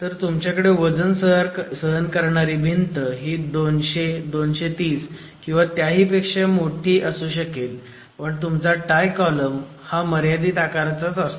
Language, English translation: Marathi, So, you might have a load bearing masonry wall which is 230, 200, 200, 230 or even larger, your tie column is typically limited in dimension